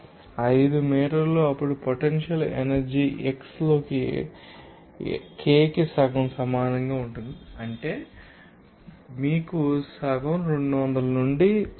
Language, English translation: Telugu, 5 meter then potential energy will be equal to half of k into x squared that simply you know half into 200 into 0